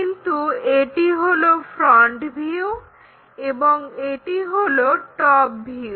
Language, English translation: Bengali, But, this one is front view and this one is top view